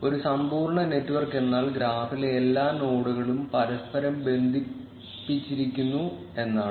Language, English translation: Malayalam, A complete network means that all the nodes in the graph are connected to each other